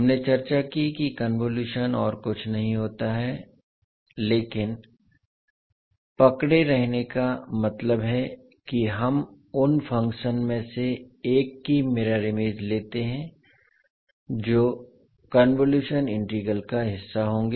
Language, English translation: Hindi, We discussed that convolution is nothings but holding, holding means we take the mirror image of one of the function which will be part of the convolution integral